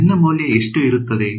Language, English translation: Kannada, Value of N will be